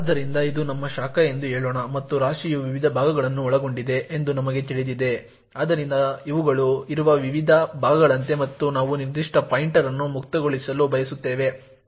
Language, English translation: Kannada, know that the heap comprises of various chunks, so this these are like the various chunks that are present and let us say now that we want to free a particular pointer